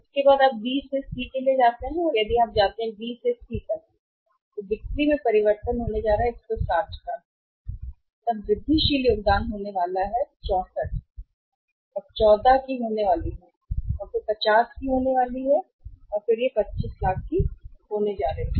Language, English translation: Hindi, After that you go for B to C, from B to C if you go from B to C so change in the sale is going to be 160 then incremental contributions is going to be 64 then it is going to be 14 and then it is going to be 50 and it is going to be 2500000 rupees